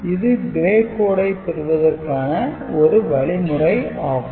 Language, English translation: Tamil, So, this is one way of getting the gray code, right